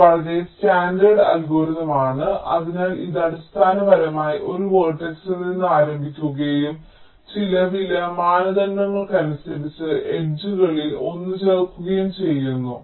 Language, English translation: Malayalam, this is a very standard algorithm, so so it basically starts with one vertex and adds one of the edges, depending on some cost criteria, so it finds out which one is the lowest cost